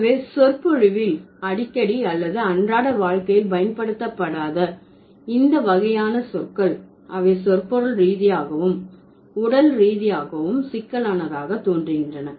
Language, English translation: Tamil, So, these kind of terms which are not frequently used in the discourse or not frequently used in the day to day life, they seem to be or they appear to be semantically and morphologically complex